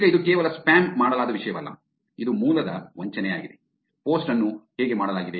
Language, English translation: Kannada, Now, it is not only just the content which is spammed, it is also the spoofing of the source, how the post was done